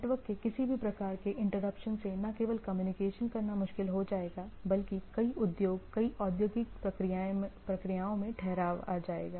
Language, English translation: Hindi, This any interruption of the network will make the not only make us difficult to communicate, but several industry several industrial processes will come into a standstill